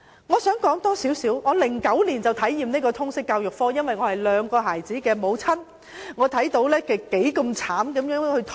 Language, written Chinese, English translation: Cantonese, 我在2009年已經體驗到修讀通識教育科多麼辛苦，因為我是兩個小朋友的母親。, As a mother of two children I experienced in 2009 how difficult it was to study the Liberal Studies subject